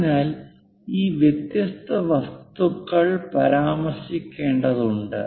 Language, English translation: Malayalam, So, these different materials has to be mentioned